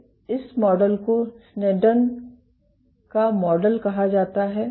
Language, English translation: Hindi, So, this model is called a Sneddon’s model